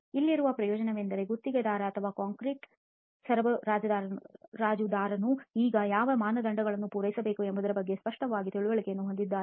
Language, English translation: Kannada, The advantage here is that the contractor or the concrete supplier now has a clear understanding of what criteria needs to be met